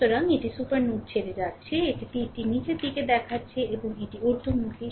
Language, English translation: Bengali, So, it is ah leaving the supernode, right, this this is arrow is showing downward and this is upward